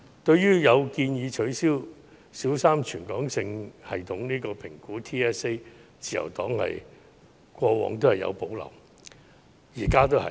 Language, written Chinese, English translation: Cantonese, 對於取消小三全港性系統評估的建議，自由黨過往和現在也有保留。, At present as in the past the Liberal Party has reservations about the suggestion to scrap the Primary 3 Territory - wide System Assessment TSA